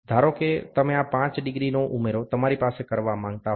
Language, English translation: Gujarati, Suppose you would like to have this is 5 degree addition you can have